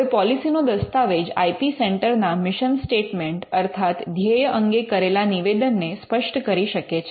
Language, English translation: Gujarati, Now, the policy document can spell out the mission statement of the IP centre